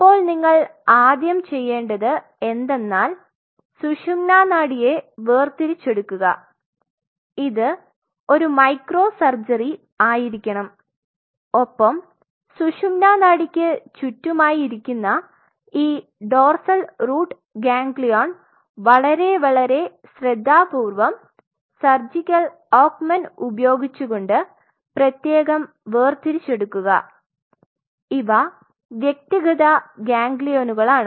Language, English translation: Malayalam, Now first thing what you have to do is you have to isolate the spinal cord and this has to be a micro surgery and around the spinal cord you will see this dorsal root ganglion sitting and very carefully extremely carefully you have to using your surgical acumen you have to isolate these dorsal root ganglia separately these are individual ganglions